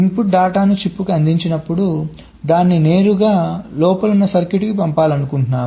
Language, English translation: Telugu, so when the input data is fed to a chip, i want to send it directly to the circuitry inside